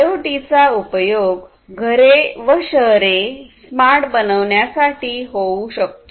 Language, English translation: Marathi, So, IoT finds applications in making cities and homes smart